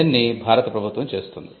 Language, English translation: Telugu, This is done by the Government of India